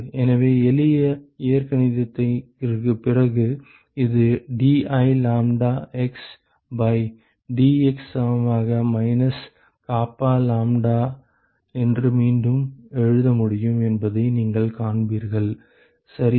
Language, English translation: Tamil, So, after simple algebra, so you will see that we can rewrite this is dI lambda x by dx equal to minus kappa lambda ok